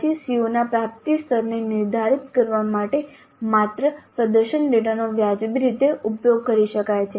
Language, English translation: Gujarati, Then only the performance data can be used reasonably well in determining the attainment levels of the COs